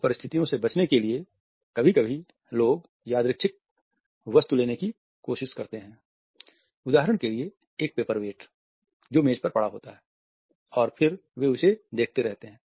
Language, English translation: Hindi, In order to avoid these situations sometimes people try to pick up a random object for example, a paper weight which is lying on the table and then they keep on looking at it